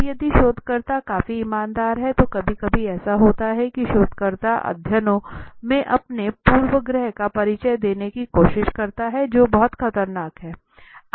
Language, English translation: Hindi, Now if the researcher is quite honest enough to sometimes what happens is that the researcher tries to create introduce their bias in the studies that is very dangerous